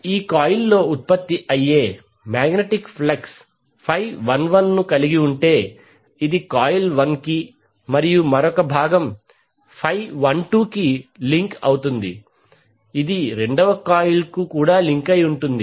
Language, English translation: Telugu, So if you see the magnetic flux generated in this particular coil has phi 11 which is link to only coil 1 and another component phi 12 which links the second coil also